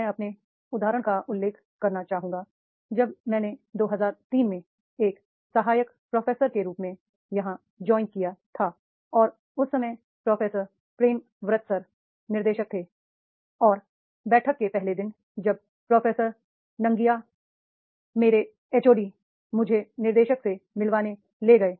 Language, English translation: Hindi, I would like to mention my example that is when I have joined here in 2003 as a assistant professor and that time the professor Prembrath Sir was director and on the first day of the meeting when Professor Nangya took me my HOD took me to director Professor Prembrathyambracar on the first day meeting mentioned that is is Dr